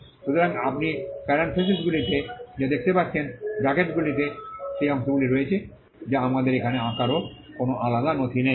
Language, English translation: Bengali, So, what you find in parentheses, in brackets are the parts that are, we do not have the drawing here drawing is in a separate document